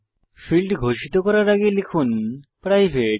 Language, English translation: Bengali, So before the field declarations type private